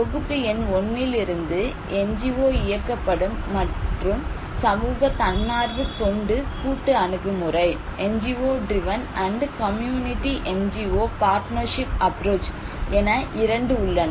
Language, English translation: Tamil, And from package number 1, there are 2 that are NGO driven and community NGO partnership approach